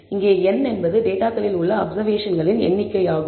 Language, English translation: Tamil, And n here is the number of observations in your data